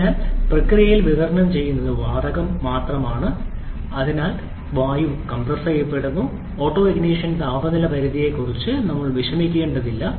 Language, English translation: Malayalam, So, it is only air which is supplied during the intake process, air is also compressed because there is no fuel inside, so we do not have to be bothered about the autoignition temperature limit